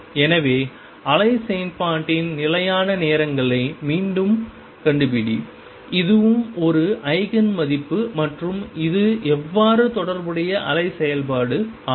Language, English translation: Tamil, So, again find the constant times the wave function and this is also therefore, an Eigen value and this is the corresponding wave function how does it look